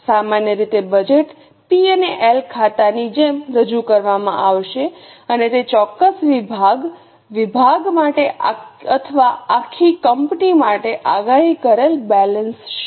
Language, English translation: Gujarati, Normally it will be presented like a budgeted P&L account and forecasted balance sheet for that particular division, department or for the whole company